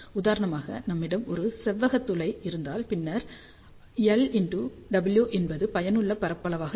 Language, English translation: Tamil, For example, if we have a rectangular aperture, then area effective will be something like L multiplied W